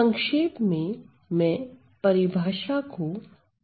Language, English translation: Hindi, So, in short from now I am going to say definition as follows